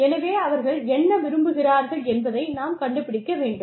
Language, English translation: Tamil, So, we need to find out, what they want